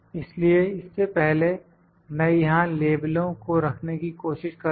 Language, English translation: Hindi, So, before that I will try to put the legend here